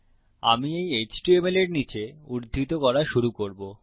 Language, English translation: Bengali, Ill start quoting underneath this HTML